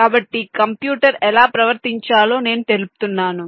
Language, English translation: Telugu, so i specify how the computer should behave now, the from